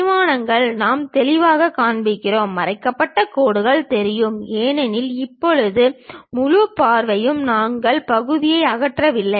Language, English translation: Tamil, The dimensions clearly we will show, the hidden lines are clearly visible; because in top view as of now we did not remove the section